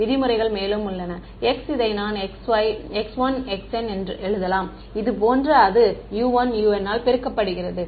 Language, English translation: Tamil, In terms of x and u, I can write this as and x like this x 1, x n multiplied by u 1, u n right